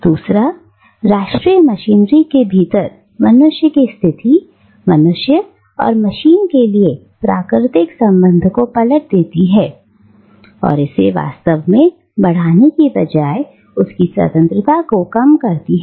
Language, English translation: Hindi, Secondly, man's position within the national machinery reverses the natural relation between man and machine and actually curtails his freedom rather than enhancing it